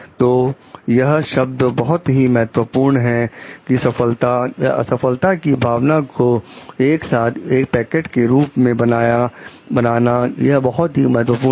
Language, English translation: Hindi, So, these words are very important see creating a feeling of succeeding and feeling together as a package this word is very important